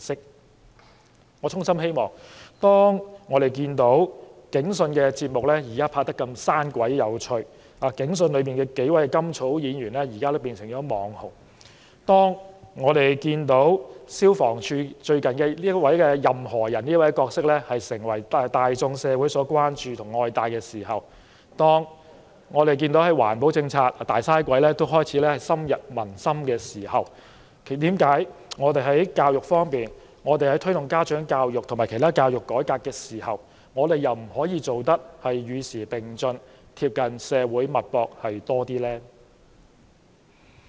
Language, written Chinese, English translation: Cantonese, 當我們看到現在的"警訊"節目拍攝得如此生動諧趣，"警訊"內的數位甘草演員頓成"網紅"；當我們看到消防處最近推出的"任何仁"角色成為大眾社會關注，受到愛戴；當我們看到推行環保政策的"大嘥鬼"也開始深入民心時，為何我們在教育改革方面，在推動家長教育方面，卻不能做到與時並進，更貼近社會脈搏呢？, If the television programme Police Magazine can be presented in such a lively and funny way and those experienced actors and actresses can become so popular and if the newly - created mascot Anyone of the Fire Services Department can become a beloved character that gets the attention of society and if Big Waster the character that is used to promote conservation strategies has made a deep impression on the public why can we not keep abreast of the time and be more up - to - date with society when we reform education and promote parent education?